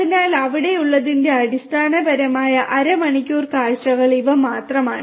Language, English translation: Malayalam, So, these are the only very basic half an hour kind of glimpse of what is there